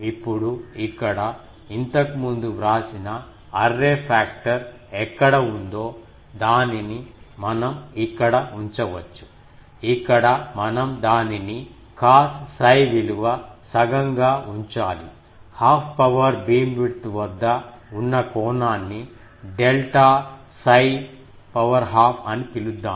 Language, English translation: Telugu, Now here, we can put that where is the previously written array factor, here all these we will have to put as cos psi half if we call that, suppose the angle at which the half power beamwidth, let us call that psi delta psi half